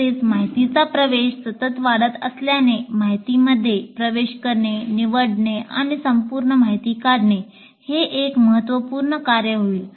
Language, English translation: Marathi, And also as access to information is continuously increasing, the process of accessing, choosing, and distilling information will become a major task